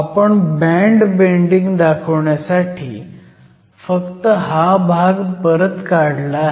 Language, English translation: Marathi, We just redraw this portion, to show the band bending